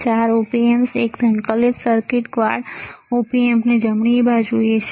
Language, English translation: Gujarati, 4 Op Amps into one integrated circuit quad Op Amp right